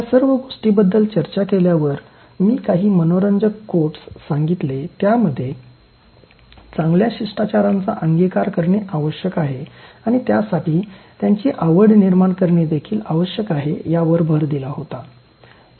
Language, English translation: Marathi, Having discussed all these things, I gave some interesting quotes which emphasized on the point that you need to keep acquiring these good manners and keep developing taste for them also